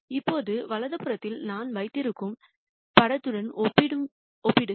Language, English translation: Tamil, Now, contrast that with the picture that I have on the right hand side